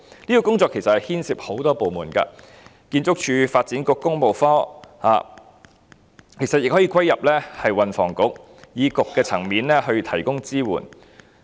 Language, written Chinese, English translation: Cantonese, 這個工作牽涉多個部門，例如建築署和發展局，其實亦可歸入運輸及房屋局，在政策局的層面提供支援。, Such work involves a number of departments such as the Architectural Services Department and the Works Branch of the Development Bureau . In fact it can also be placed under the Transport and Housing Bureau with the aim of providing support at the bureau level